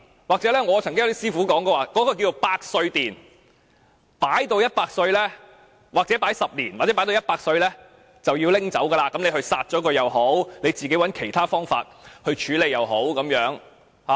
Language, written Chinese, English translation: Cantonese, 我曾聽過一些師傅稱某地方為百歲殿，把骨灰擺放10年或放至死者100歲便要取走，骨灰無論撒掉或以其他方法處理也可。, I have heard the saying that certain niches are centennial niches . Ashes can be kept in the niches for 10 years or until the 100 birthday of the deceased person . The ashes have to be removed then and they can be scattered or disposed in other ways